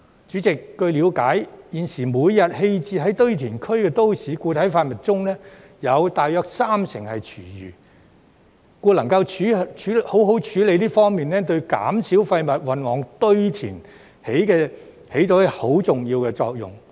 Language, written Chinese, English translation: Cantonese, 主席，據了解，現時每天棄置於堆填區的都市固體廢物中，有約三成是廚餘，故能夠好好處理這方面，對減少廢物運往堆填起着很重要的作用。, President it is understood that about 30 % of MSW disposed of at landfills every day is food waste so its proper handling is vital for reducing the amount of waste going to landfills